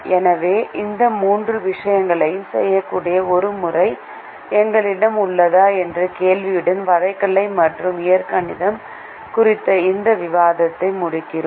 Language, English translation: Tamil, so we end this discussion on graphical and algebraic with this question that: do we have a method that can do these three things